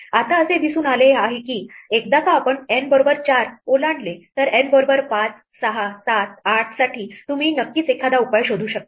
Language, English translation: Marathi, Now, it turns out that once we cross N equal to 4, for 5, 6, 7, 8, you can show that there is always a solution possible